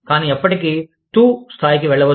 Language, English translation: Telugu, But, never go down to the level of, TU